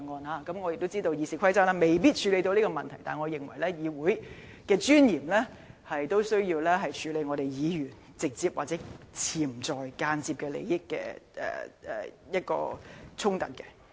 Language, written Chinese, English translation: Cantonese, 雖然我知道《議事規則》未必能夠處理這個問題，但我認為基於議會的尊嚴，實在有需要處理議員直接、潛在或間接的利益衝突。, I understand that RoP may not be able to deal with this matter but for the dignity of this Council I consider it necessary to address the issue of conflict of Members interests be they direct potential or indirect